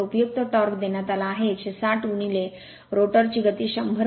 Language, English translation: Marathi, So, useful torque is given 160 into your rotor speed you got 100